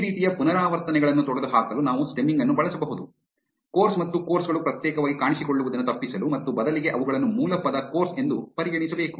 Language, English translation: Kannada, We can use stemming to eliminate repetitions like this, to avoid course and courses appear separately and instead just consider them as the base word course